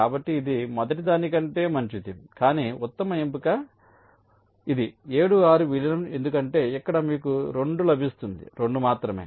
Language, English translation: Telugu, but the best choice is this: merging seven, six, because here you get two, only two